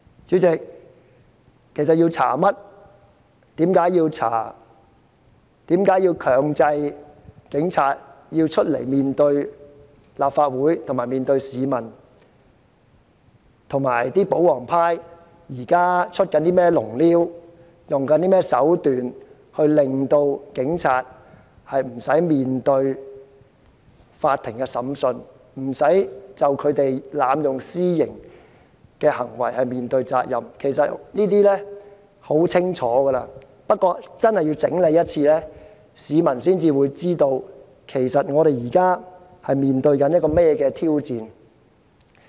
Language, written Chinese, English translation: Cantonese, 主席，調查範圍、調查原因、強制警方前來面對立法會及市民的理由，以及保皇派現正利用甚麼手段令警方無須面對法庭審訊和濫用私刑的責任，其實全部都相當清楚，但我要整理一次，市民才會知道我們現正面對怎樣的挑戰。, President regarding the scope of and reasons for inquiry the reasons for mandating police officers to face the Council and the people as well as the tactics employed by the pro - establishment camp to shield police officers from court trials and liability for extrajudicial punishment are all crystal clear . Yet I have to present them nicely in an organized way for members of the public to be aware of the challenges facing us